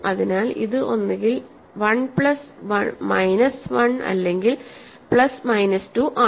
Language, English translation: Malayalam, So, this is either 1 plus minus 1 or plus minus 2